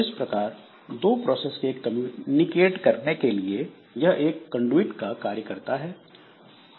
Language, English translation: Hindi, So, this acts as a conduit allowing two processes to communicate